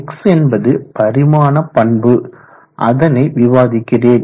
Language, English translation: Tamil, X characteristic dimension I will tell you how to get that